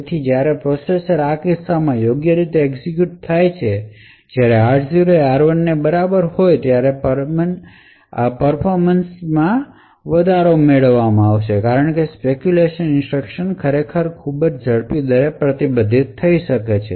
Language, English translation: Gujarati, So, when the processor as executed correctly in this case when r0 is equal to r1 then a performance is gained because the speculated instructions could actually be committed at a much more faster rate